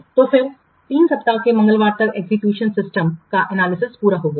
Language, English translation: Hindi, So then by the Tuesday of week three, analyze the existing system is completed